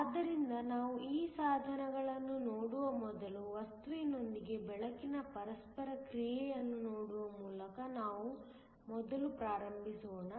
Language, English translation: Kannada, So, before we look into these devices, let us first start by looking at the interaction of light with matter